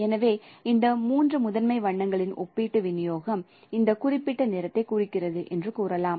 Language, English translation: Tamil, So then we say this distribution, relative distribution of these three primary colors that is representing this particular color